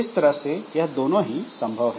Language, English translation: Hindi, So, both are possible